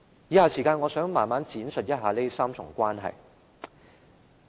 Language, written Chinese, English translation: Cantonese, 以下時間，我想慢慢闡述一下這3重關係。, I would like to use the following time to elaborate on this tripartite relationship